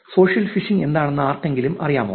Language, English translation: Malayalam, Social Phishing; does anybody know what social phishing is